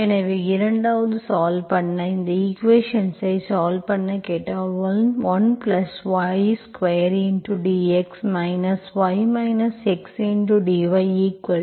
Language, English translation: Tamil, So 2nd, solve, if I ask you to solve this equation, 1+ y square dx minus tan inverse y minus x dy equal to 0